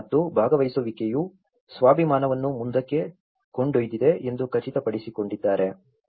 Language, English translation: Kannada, And that is how the participation have ensured that they have taken the self esteem forward